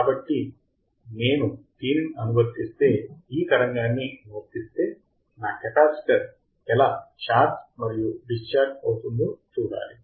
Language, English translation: Telugu, So, if I apply this one right, if I apply the signal, I had to see how my capacitor will charge and how my capacitor will discharge